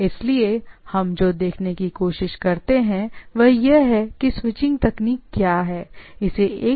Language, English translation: Hindi, So, what we try to look at is the preliminary of what are the switching technique, irrespective of what sort of network is there